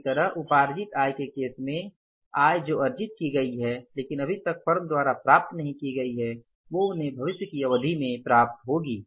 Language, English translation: Hindi, Similarly in case of the accrued incomes, income which has been earned but not yet received by the firm they will be received in the future period